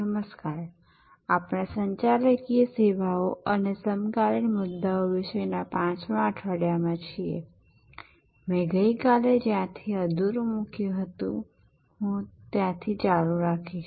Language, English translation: Gujarati, Hello, so we are in week 5 of Managing Services, Contemporary Issues, I will continue from where I left of yesterday